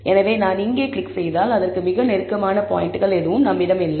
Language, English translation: Tamil, So, if I click here, then I do not have any points closest to it